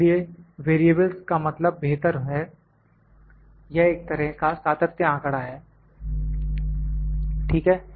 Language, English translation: Hindi, So, variables means better, this is a kind of a continuous or better continuum data, ok